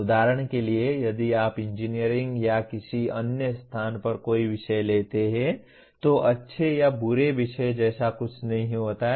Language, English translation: Hindi, For example if you take any subject in engineering or any other place there is nothing like a good or bad subject